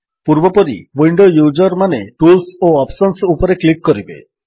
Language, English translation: Odia, As before, Windows users, please click on Tools and Options